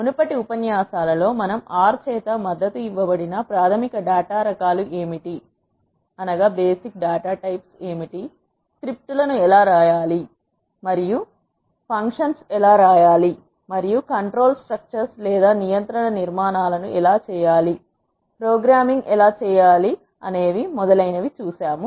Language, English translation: Telugu, In the previous lectures, we have seen; what are the basic data types that are supported by R, how to write scripts, how to write functions and how to do control structures, how to do programming and so on